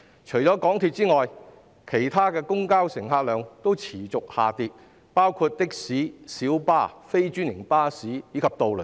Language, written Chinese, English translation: Cantonese, 除了香港鐵路有限公司外，其他公共交通的乘客量也持續下跌，包括的士、小巴、非專營巴士及渡輪等。, Except for the MTR Corporation Limited MTRCL the patronage of public transport including taxis minibuses non - franchised buses and ferries has been declining